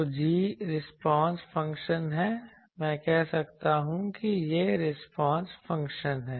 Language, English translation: Hindi, So, g is the response function I can say this is a response function